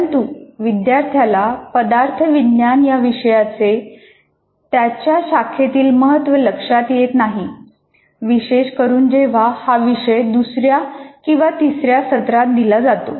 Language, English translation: Marathi, But the student himself doesn't feel the importance of material science in his branch, especially when it is offered at second or third semester level